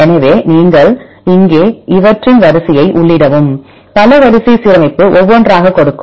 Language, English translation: Tamil, So, here you enter the sequence right of these multiple sequence alignment give one by one